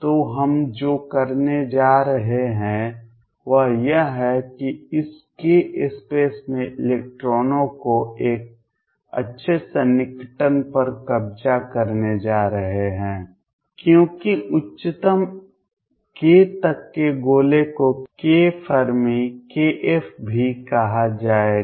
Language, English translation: Hindi, So, what we are going to have is that in this case space electrons are going to be occupied to a good approximation as sphere up to a highest k would also called k Fermi